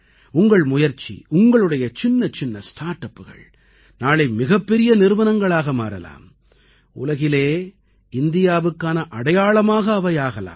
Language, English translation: Tamil, Your efforts as today's small startups will transform into big companies tomorrow and become mark of India in the world